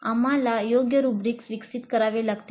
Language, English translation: Marathi, We have to develop suitable rubrics